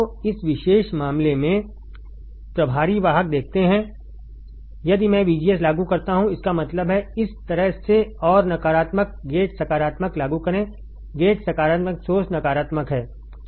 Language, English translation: Hindi, So, in this particular case you see the charge carriers if I apply VGS; that means, like this and apply negative gate positive; gate is positive source is negative